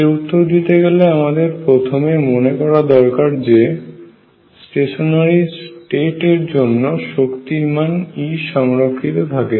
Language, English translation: Bengali, Recall now to answer this questions that for stationary states E the energy is conserved right